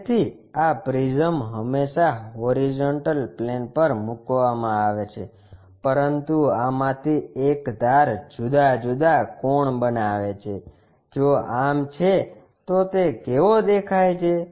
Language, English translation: Gujarati, So, this prism is always be placed on horizontal plane, but one of these edges making different inclination angles if so how it looks like